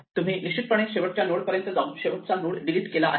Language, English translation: Marathi, Have we actually ended up at the last node and deleted the last node